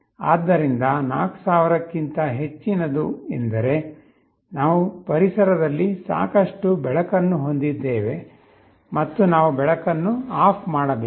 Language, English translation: Kannada, So, greater than 4000 means we have sufficient light in the ambience, and we have to switch OFF the light